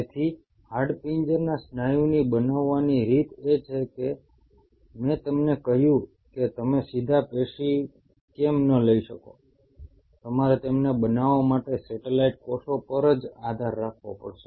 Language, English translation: Gujarati, So the way skeletal muscle grows is why I told you that why you cannot take the direct tissue, you only have to rely on the satellite cells to grow them